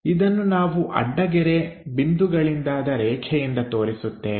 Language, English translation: Kannada, So, we show it by a dash dot kind of line